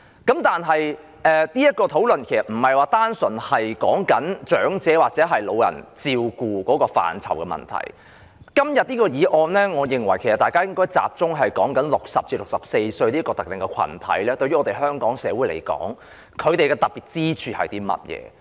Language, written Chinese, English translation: Cantonese, 然而，這項討論說的並非純粹是照顧長者的問題，我認為大家討論今天的議案時，應該集中討論60歲至64歲這個特定的群體對香港社會有何特別之處。, That said this discussion is not purely about the question of elderly care . I think when we discuss this motion today we should focus on what is special about this specific group of people aged between 60 and 64 to Hong Kong society